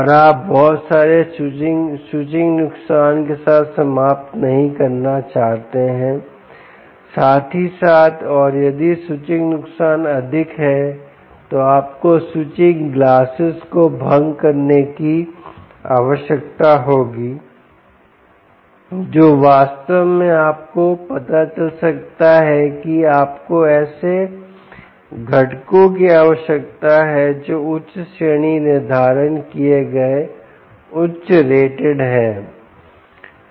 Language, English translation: Hindi, and if switching losses are high, you will need to dissipate the switching glasses, which might indeed, ah, you know, turn out that you need components which are highly rated, higher rated, higher rated components